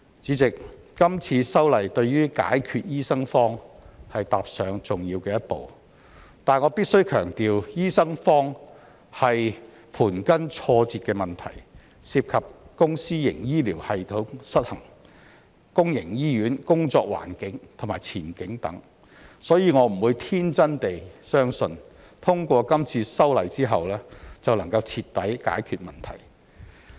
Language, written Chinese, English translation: Cantonese, 主席，今次修例對於解決醫生荒踏上了重要的一步，但我必須強調，醫生荒是盤根錯節的問題，涉及公私營醫療系統失衡、公營醫院工作環境和前景等，所以我不會天真地相信通過今次修例後便能徹底解決問題。, I believe this will set the record straight and address the publics concerns . President this amendment exercise is an important step towards solving the shortage of doctors but I must emphasize that the shortage of doctors is an intertwined problem that involves the imbalance between the public and private healthcare systems the working environment and prospects of public hospitals etc . Therefore I am not that naïve to believe that the problem can be completely solved after this amendment exercise